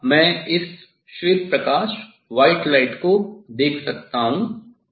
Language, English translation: Hindi, now, I can see this white light I can see this white light